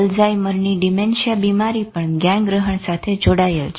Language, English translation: Gujarati, Alzheimer's disease dementia is again connected to cognition